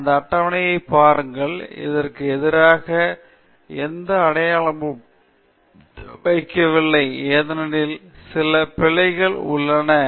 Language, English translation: Tamil, So, for example, look at this table, I have put a NO sign against it, mainly because it has some errors